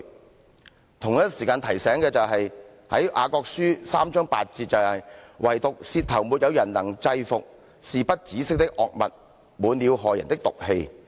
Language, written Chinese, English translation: Cantonese, 我同時也要提醒，《雅各書》第三章8節提到"惟獨舌頭沒有人能制伏，是不止息的惡物，滿了害人的毒氣。, Also I have to remind him the quote in the Epistle of James 3col8 which reads but the tongue may not be controlled by man; it is an evil it is full of the poison of death